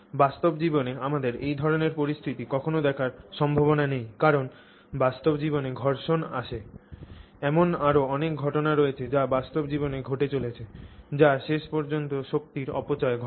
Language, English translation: Bengali, In our real life this is unlikely for us to ever see this kind of a situation because in real life there is friction, there are many other phenomena that are occurring in real life which eventually you know sort of dissipate the energy